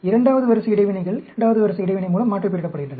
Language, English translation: Tamil, Second order interactions are aliased with second order interaction